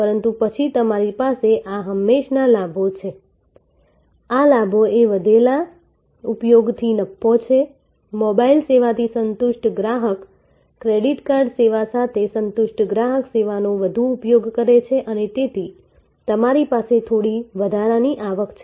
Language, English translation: Gujarati, But, then you have this pile up benefits, pile up benefits are profit from increased usage, a satisfied customer with the mobile service, a satisfied customer with a credit card service tend to use the service more and therefore, you have some incremental revenue